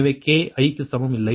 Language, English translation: Tamil, so plus in k is equal to four